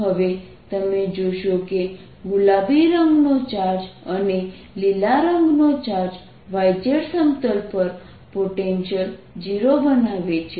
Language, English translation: Gujarati, now you will notice that the charge in pink and charge in green make the potential zero on the y z plane